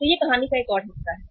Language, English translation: Hindi, So that is a another part of the story